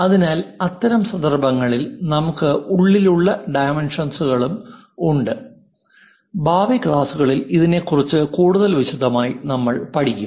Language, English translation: Malayalam, So, in that case we have inside dimension also, more details we will learn about that in the future classes